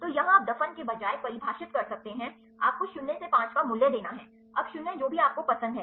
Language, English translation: Hindi, So, here you can define instead of buried, you have to give the value 0 to 5, now 0 to whatever you like